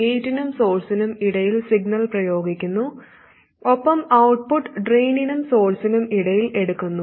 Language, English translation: Malayalam, The signal is applied between the gate and source and the output is taken between the drain and source